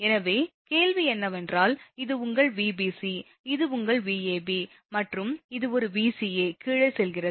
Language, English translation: Tamil, So, question is that, and your this is your Vbc, this is your Vab and this one Vca going down